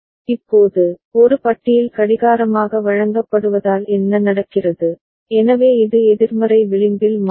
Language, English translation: Tamil, Now, because of A bar fed as clock what happens, so this will change at negative edge right